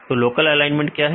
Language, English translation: Hindi, So, what is local alignment